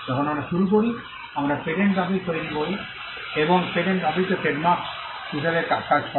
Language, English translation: Bengali, When we started off, we created a patent office and the patent office also acted as the trademark office